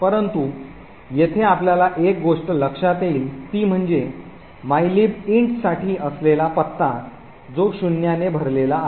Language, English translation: Marathi, But, one thing you will notice over here is that the address for mylib int which was supposed to be over here is filled with zeros